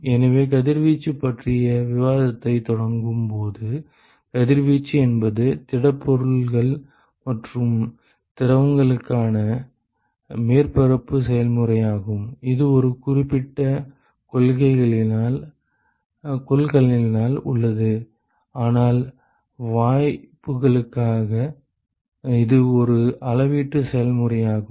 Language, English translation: Tamil, So, when we start initiated discussion on radiation, so we observed that the radiation is a surface area process for solids and liquids, which is present in a certain container, but for gases it is a volumetric process